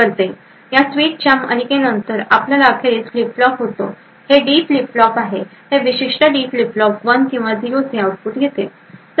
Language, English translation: Marathi, After a series of such switches we eventually have a flip flop, this is a D flip flop, this particular D flip flop gives an output of 1 or 0